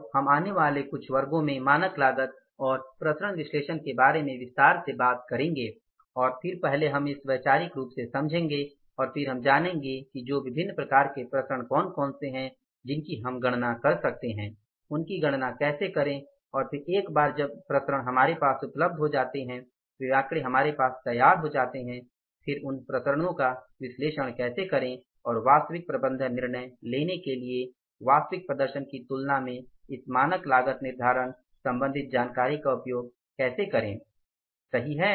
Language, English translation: Hindi, So, we will be talking about the standard cost and the variance analysis in this say coming now a few classes in detail and then first we will understand it conceptually and then we will learn what are the different type of the variances we can calculate how to calculate those variances and then once the variances are ready with us, those figures are ready with us then how to analyze those variances and how to use this standard costing related information comparing with the actual performance for the actual management decision making